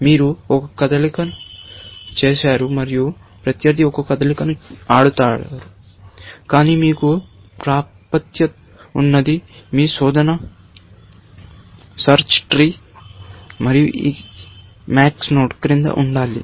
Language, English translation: Telugu, You have made a move, and opponent will play a move, but what you have access to, is your search tree, and has to below this max node